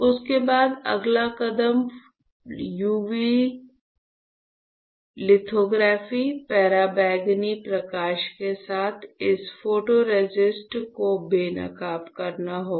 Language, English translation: Hindi, After that one, the next step would be to expose this photoresist with UV, UV lithography, ultraviolet light